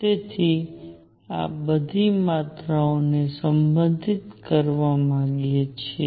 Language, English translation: Gujarati, So, we want to relate all these quantities